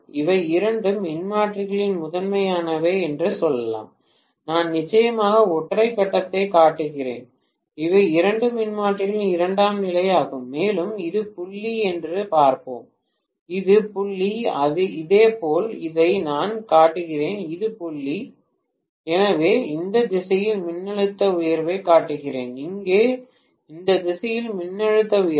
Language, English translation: Tamil, Let us say these are the primaries of two transformers, I am showing single phase of course and these are the secondaries of two transformers, and let us see this is dot, this is dot, similarly for this I am showing this is the dot, this is the dot, so I am showing the voltage rise in this direction, here also the voltage rise in this direction